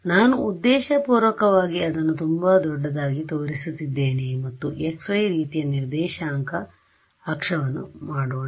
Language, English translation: Kannada, I am purposely showing it very big and let us make a coordinate axis like this x y ok